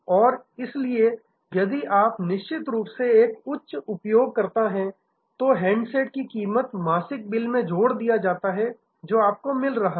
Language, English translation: Hindi, And then therefore, if you are a heavy user of course, the price of the handset is build into the monthly bill that you are getting